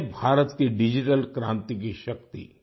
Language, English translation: Hindi, This is the power of India's digital revolution